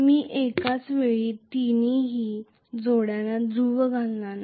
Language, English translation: Marathi, I will not excite all the three pairs of poles simultaneously